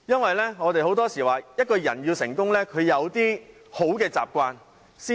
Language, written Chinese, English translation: Cantonese, 很多時候，我們說一個人要成功要有好的習慣。, Often we say that in order to succeed it is necessary to have good habits